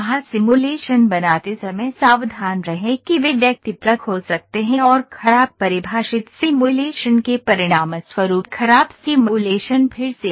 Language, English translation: Hindi, Be careful when creating simulations they can be subjective and poorly defined simulations will result in poor simulations again GIGO garbage in garbage out